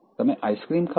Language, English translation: Gujarati, I hate ice creams